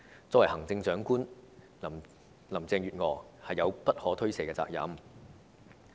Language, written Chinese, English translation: Cantonese, 作為行政長官，林鄭月娥是有不可推卸的責任。, Carrie LAM as the Chief Executive has a responsibility she cannot shirk